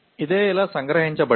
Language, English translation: Telugu, This is what is captured like this